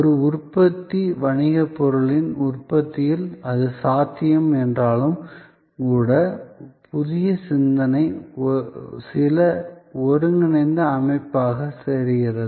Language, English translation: Tamil, In a manufacturing business, goods manufacturing it is perhaps possible, even though there also, the new thinking look certain integrated system